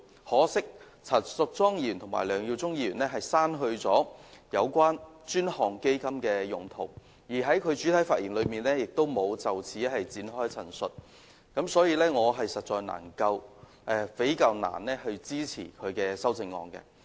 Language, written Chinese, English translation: Cantonese, 可惜，陳淑莊議員和梁耀忠議員刪去有關專項基金用途的內容，而他們在主體發言時也沒有就此作出陳述，所以我實在難以支持他們的修正案。, Regrettably Ms Tanya CHAN and Mr LEUNG Yiu - chung have deleted the content about setting up a dedicated fund and they have not made reference to this omission in their main speeches . I therefore find it really hard to support their amendments . Lastly I will talk about Mr Andrew WANs amendment